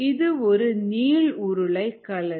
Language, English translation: Tamil, this is a cylinder